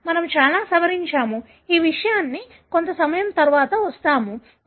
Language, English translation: Telugu, So, we have modified a lot; we will come to that little later